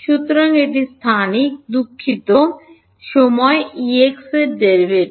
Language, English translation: Bengali, So, it is spatial, sorry time derivative of E x